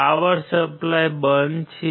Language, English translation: Gujarati, The power supply is off